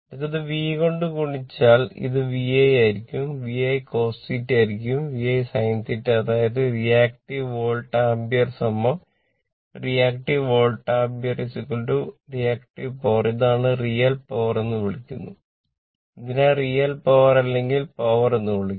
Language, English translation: Malayalam, Next is your if you multiply by V it will be VI it will be VI cos theta it will be VI sin theta ; that means, reactive volt ampere is equal to this is your reactive volt ampere reactive power this is we call real power right this we call real power or a power